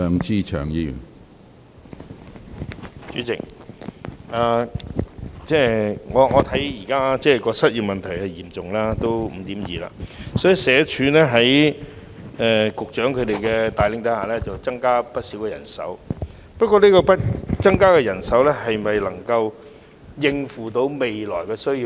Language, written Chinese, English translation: Cantonese, 主席，現時失業問題十分嚴重，失業率高達 5.2%， 所以社署在局長帶領下增加了不少人手，但新增的人手能否應付未來的需要？, President at present the unemployment situation is so bad that the unemployment rate has hit 5.2 % . SWD has thus increased its manpower considerably under the leadership of the Secretary but is it possible that such additional manpower will be able to cope with the future workload?